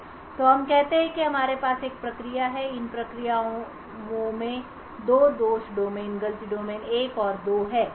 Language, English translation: Hindi, So let us say that we have a one process and these processes have has 2 fault domains, fault domain 1 and fault domain 2